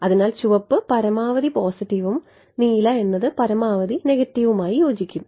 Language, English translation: Malayalam, So, red will correspond to maximum positive blue will correspond to maximum negative right